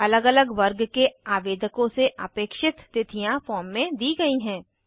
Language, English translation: Hindi, The dates expected from different categories of applicants are specified in the form